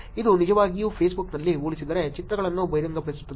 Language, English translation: Kannada, This can be actually pretty revealing the pictures compared on Facebook